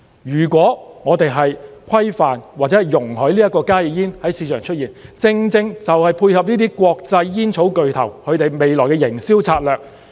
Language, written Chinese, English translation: Cantonese, 如果我們規範或容許加熱煙在市場出現，正正就是配合這些國際煙草巨頭未來的營銷策略。, If we regulate HTPs or allow them to be available in the market we will be complementing the future marketing strategies of these international tobacco giants